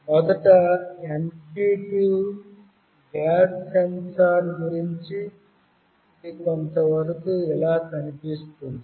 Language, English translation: Telugu, Firstly about the MQ2 gas sensor it looks like somewhat like this